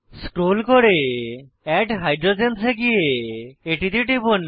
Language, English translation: Bengali, Scroll down to add hydrogens option and click on it